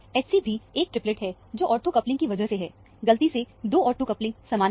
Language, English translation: Hindi, H c is also a triplet, because of the ortho coupling; accidentally, the 2 ortho coupling are same